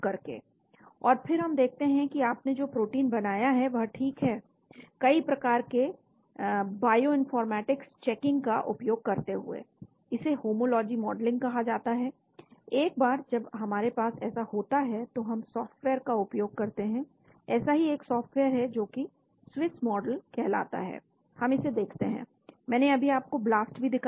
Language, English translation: Hindi, And then we see whether the protein which you have created is ok, using a various bioinformatics checking , this is called the homology modeling once we have that , so we use the software there is a software called Swiss model we look at it, I just showed you the BLAST also